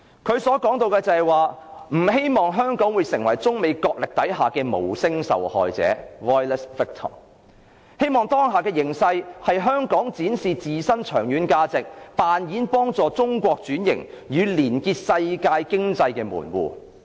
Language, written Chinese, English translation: Cantonese, 他說"不希望香港成為中美角力下的'無聲受害者'，當下的形勢讓香港有機會展示自身的長遠價值，扮演幫助中國轉型，與連結世界經濟的門戶"。, He stated that he does not expect Hong Kong to become a voiceless victim sandwiched between the US - China trade friction . The current situation presents a real opportunity for Hong Kong to demonstrate its lasting value as a transformative portal linking China and the rest of the world economy